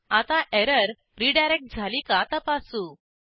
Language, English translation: Marathi, Now let us check whether the error is redirected